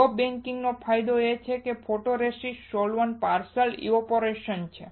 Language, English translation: Gujarati, The advantage of soft baking is that there is a partial evaporation of photoresist solvent